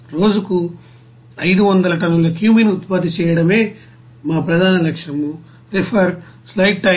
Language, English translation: Telugu, Our main objective is to produce 500 tons per day of cumene production this is our goal